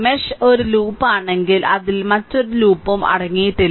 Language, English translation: Malayalam, If mesh is a loop it does not contain any other loop within it right